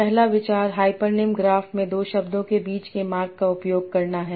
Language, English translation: Hindi, First idea is to use the path between two words in the hyponym graph